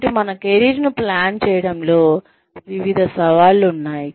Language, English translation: Telugu, So, various challenges to planning our careers